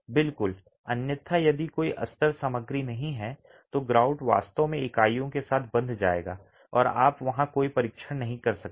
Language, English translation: Hindi, Otherwise if there is no lining material the grout will actually bond with the units and you can't do any test there